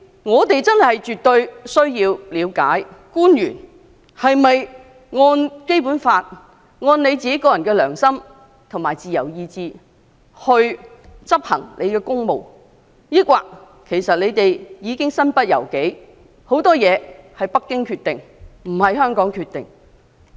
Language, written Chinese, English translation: Cantonese, 我們絕對有必要了解，官員是否按照《基本法》、其個人良心和自由意志執行公務；抑或他們身不由己，很多事情由北京而非香港決定？, It is absolutely necessary for us to know whether officials have performed their official duties according to the Basic Law their conscience and free will or whether they have been constrained as many decisions are made by Beijing rather than Hong Kong